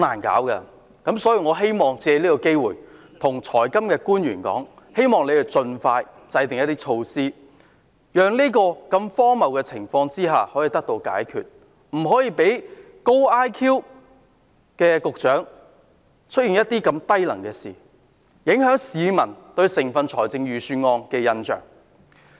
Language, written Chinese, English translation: Cantonese, 我要借此機會對財金官員說，希望他們盡快制訂一些措施，讓這個荒謬的情況可以得到解決，不可以讓"高 IQ 局長"做出如此低能的事，影響市民對整份預算案的印象。, I would like to take this opportunity to tell financial officials that I hope they will expeditiously formulate certain measures to address this absurd situation and prevent the Secretary with high IQ from doing such stupid things so as not to affect peoples perceptions of the Budget